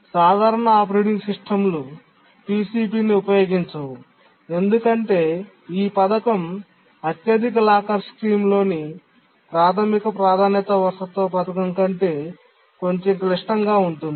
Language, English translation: Telugu, Very, very simple operating systems don't use PCP because the scheme is slightly more complicated than the basic priority inheritance scheme in the highest locker scheme